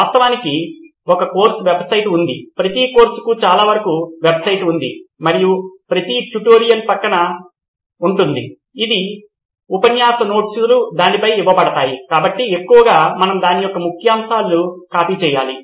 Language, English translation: Telugu, Actually there’s a course website, every course, most of the course have a website and every tutorial side by side, all the lecture notes are given on that, so mostly we need to copy just the jest of it